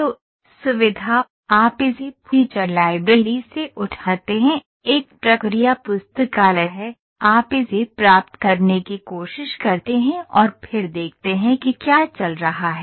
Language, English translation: Hindi, So, feature, you pick it up from the feature library is there, a process library is there, you try to get and then see what is going on